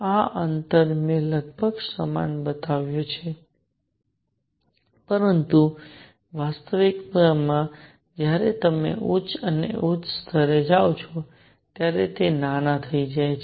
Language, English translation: Gujarati, These distances I have shown to be roughly equal, but in reality as you go to higher and higher levels, they become smaller